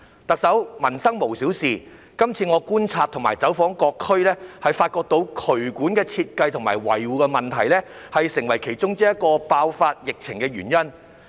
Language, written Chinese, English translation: Cantonese, 特首，民生無小事，今次我觀察和走訪各區，發現渠管設計與維護問題成為其中一個疫情爆發的原因。, Chief Executive nothing about peoples livelihood is trivial . After visiting and inspecting the various districts I have discovered that drainage design and maintenance is one of the reasons for the outbreak of infections